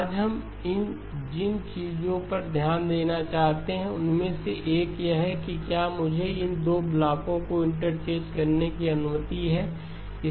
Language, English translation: Hindi, One of the things that we want to focus today is when am I allowed to interchange these 2 blocks